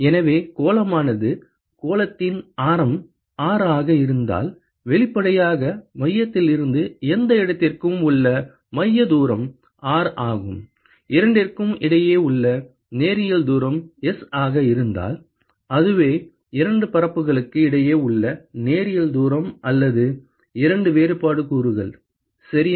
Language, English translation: Tamil, So, if the sphere is the radius of the sphere is R, then obviously, the center distance from the center to any location the sphere is R; and if the linear distance between the two is S